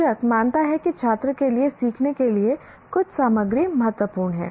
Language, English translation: Hindi, The teacher considers certain content is important for the student to learn